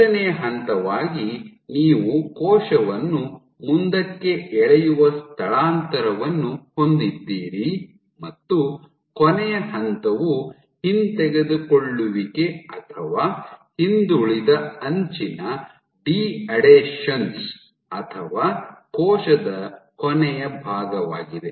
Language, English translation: Kannada, As a third step you have translocation where the cell is pulled forward, and the last step is retraction or de adhesion of the trailing edge or the last portion of the cell